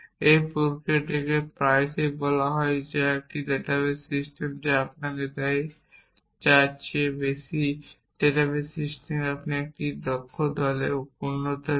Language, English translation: Bengali, This process is often called as which is more than what a database system give you database system gives you retrieval in an efficient faction